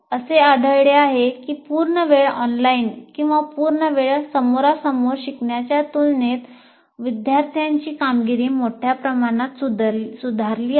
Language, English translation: Marathi, And it has been found that the performance of the students greatly improved compared to full time online or full time face to face learning experiences